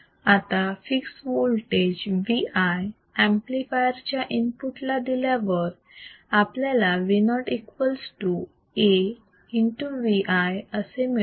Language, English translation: Marathi, Now, considering a fixed voltage V i applied to that the applied at the input of the amplifier what we get is V o equals to A times V i